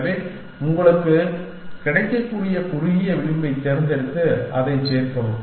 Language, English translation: Tamil, So, pick the shortest edge that is available to you and add that